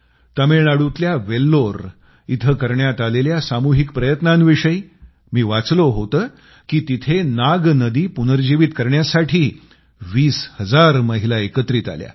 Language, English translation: Marathi, I was reading about the collective endeavour in Vellore of Tamilnadu where 20 thousand women came together to revive the Nag river